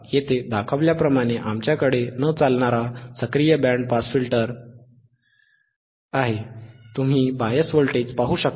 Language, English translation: Marathi, , right and wWe have a non running active band pass filter as shown here, right, you can see bias voltage, right